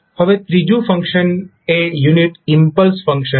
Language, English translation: Gujarati, Now, the third function is unit impulse function